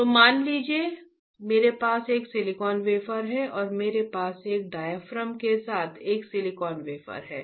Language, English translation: Hindi, So, suppose I have a silicon wafer and I have a silicon wafer with a diaphragm, like this